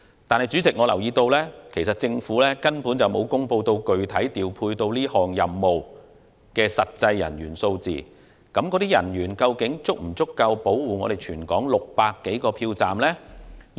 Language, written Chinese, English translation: Cantonese, 但是，主席，我留意到政府並沒有公布具體調配擔任這個任務的實際人員數字，究竟這些人員是否足夠保護全港600多個票站呢？, However President I notice that the Government has not announced the actual number of staff members deployed to perform the related tasks and will there be sufficient personnel to protect the safety of more than 600 polling stations throughout the territory?